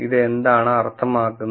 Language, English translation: Malayalam, So, what do we mean by this